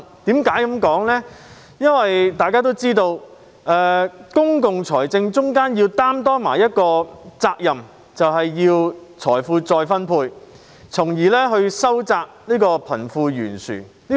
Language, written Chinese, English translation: Cantonese, 大家都知道，政府在公共財政方面須承擔的其中一種責任，就是財富再分配，從而收窄貧富懸殊。, As we all know one of the Governments obligations in relation to public finance is redistributing wealth and thereby narrowing the disparity between the rich and the poor